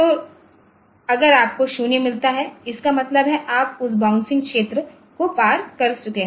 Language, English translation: Hindi, So, if you get a 0; that means, you have crossed over that bouncing region so like here